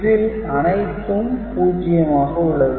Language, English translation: Tamil, So, the output here is 0